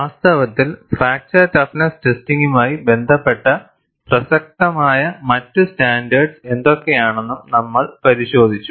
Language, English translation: Malayalam, In fact, we had also looked at, what are the other relevant standards, in connection with fracture toughness testing